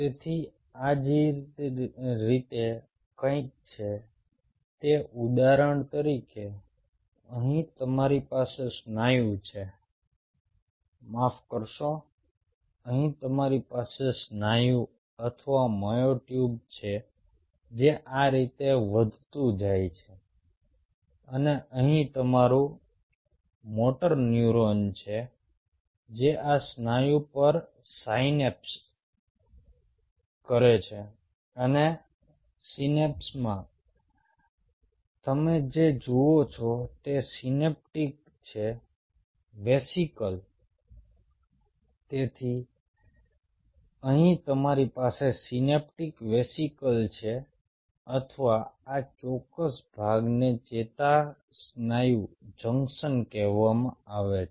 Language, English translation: Gujarati, so the way it is something like this: say, for example, here you have a muscle, sorry, here you have a muscle or a myotube growing like this, and here your motor neuron which synapse on this muscle and at the synapse what you observe are the synaptic vesicle